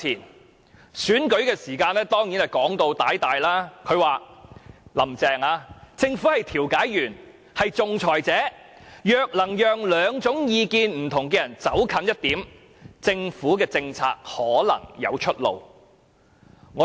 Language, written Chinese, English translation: Cantonese, 在選舉時的說話當然動聽，"林鄭"便曾說"政府是調解員、仲裁者的角色，若能讓兩種意見不同的人走近一點，政府政策可能有出路"。, Words said in the course of electioneering are as a rule highly appealing . And Carrie LAM once remarked that the Government would play the role of a mediator or arbitrator and that if it could thus bring people of opposing views closer together there might be hope for the successful implementation of government policies